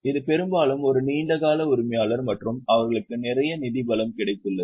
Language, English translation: Tamil, This is often a long term owner and they have got lot of financial strength